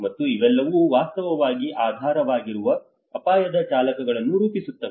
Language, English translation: Kannada, And these are all actually formulates the underlying risk drivers